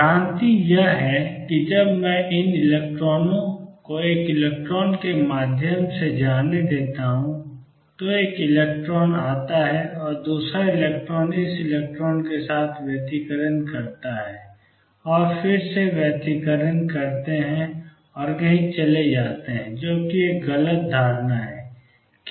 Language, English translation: Hindi, The misconception is that when I let these electrons go through one electron comes and the second electron interferes with this electron and then they interfere and go somewhere that is a misconception